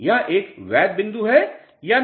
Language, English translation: Hindi, Is this a valid point or not